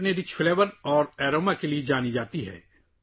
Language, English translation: Urdu, It is known for its rich flavour and aroma